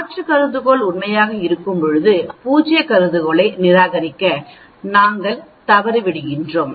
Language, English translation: Tamil, Whereas, instead of accepting alternate hypothesis we do not accept alternate, we accept null hypothesis